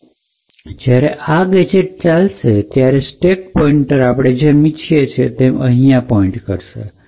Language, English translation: Gujarati, Now when this particular gadget executes, we have the stack pointer pointing here as we want